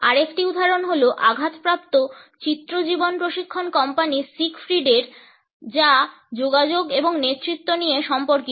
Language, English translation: Bengali, Another example is of the brunt images of a life coaching company Siegfried which is about communication and leadership